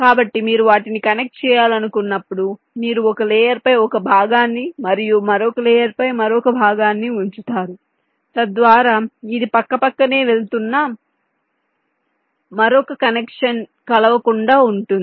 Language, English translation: Telugu, so when you want to connect them, you run a part on one layer, a part on other layer, so that this another connection that is going side by side does not intersect